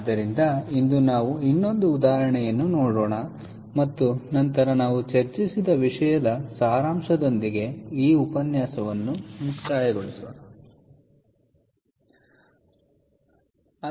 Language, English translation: Kannada, so today we will just look at one more example and then conclude this lecture with a summary of what we discussed